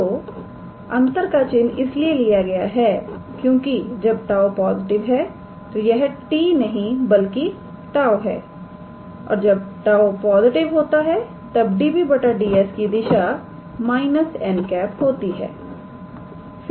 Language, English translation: Hindi, So, the minus sign is taken because when tau is positive, so this is not t this is tau when tau is positive db ds has the direction of minus n